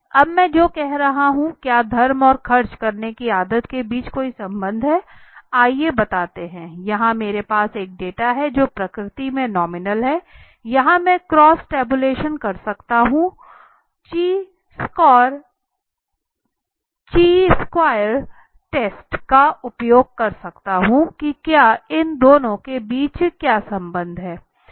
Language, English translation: Hindi, Now what I am saying is there any relationship between the religion and the habit of spending let say what is the habit of spending now this thing here I have a data which is the nominal in nature so here I can what I can do is the cross tabulation right I can do it cross tabulation I can use a Chi square test right to determine whether there is any association between may be these two okay